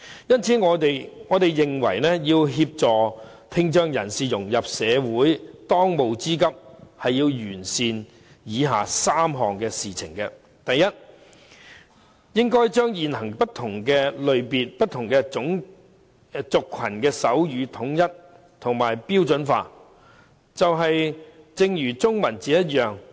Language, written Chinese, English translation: Cantonese, 因此，我們認為要協助聽障人士融入社會，當務之急是要完善以下3項事情：第一，應該將現行不同類別、不同族群的手語統一和標準化，正如統一中文字一樣。, Therefore we maintain that if we are to help people with hearing impairment integrate into society the following three tasks must be done as a matter of urgency . First the different types of sign languages currently used by different ethnic groups should be standardized as in the case of the Chinese language